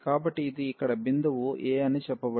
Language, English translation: Telugu, So, let us say this is the point a here